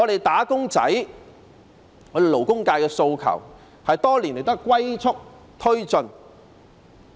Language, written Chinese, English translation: Cantonese, "打工仔"、勞工界的訴求多年來也是"龜速"推進。, Over the years work has been taken forward at turtle speed to meet the aspirations of wage earners and the labour sector